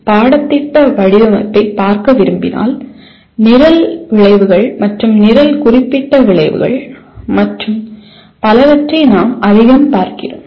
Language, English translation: Tamil, When you want to look at the curriculum design then we are looking at more at the program outcomes and program specific outcomes and so on